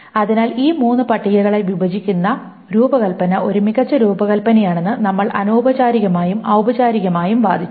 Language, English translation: Malayalam, So we have argued both informally and formally that the design where you break this up into these three tables is a better design